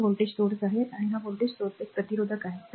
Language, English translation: Marathi, So, this is actually voltage source, right this is one resistor this voltage source